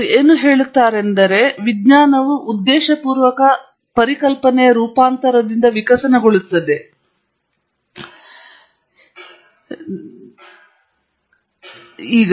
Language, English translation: Kannada, What they say is science evolves by deliberate idea mutation, subject to the following selection rules